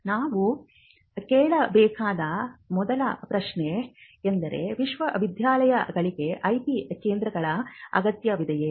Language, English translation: Kannada, Now, the first question that we need to ask is whether universities need IP centres